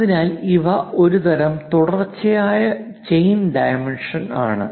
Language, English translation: Malayalam, So, these are parallel these are a kind of continuous chain dimensioning